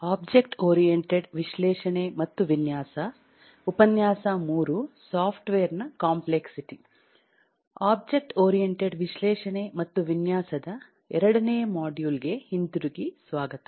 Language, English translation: Kannada, welcome back to module 2 of object oriented analysis and design